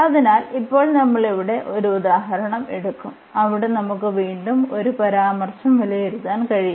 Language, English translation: Malayalam, So, now, we will take some example here where we can evaluate just again a remarks